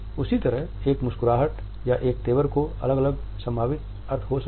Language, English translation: Hindi, In the same way, a single smile or a single frown may have different possible meanings